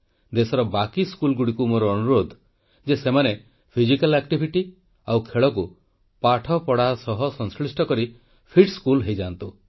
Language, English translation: Odia, I urge the rest of the schools in the country to integrate physical activity and sports with education and ensure that they become a 'fit school'